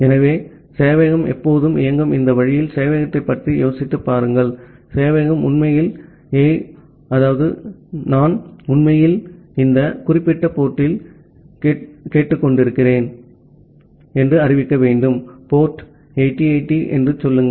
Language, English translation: Tamil, So, just think of the server in this way that the server is always running, and the server actually need to announce that hey, I am actually listening in this particular port, say port 8080